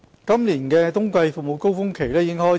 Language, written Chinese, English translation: Cantonese, 今年的冬季服務高峰期已開始。, The winter surge of this year has begun